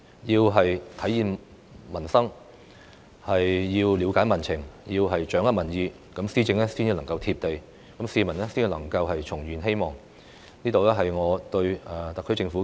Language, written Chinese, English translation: Cantonese, 政府要體現民生、了解民情、掌握民意，施政才能夠"貼地"，市民才能夠重燃希望，這是我對特區政府的寄言。, The Government should be responsive to the aspirations sentiments and opinions of the community in order to make its governance and administration down to earth thereby re - igniting the hopes of the public . These are my sincere advice to the HKSAR Government